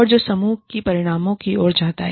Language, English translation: Hindi, And, that leads to, team outcomes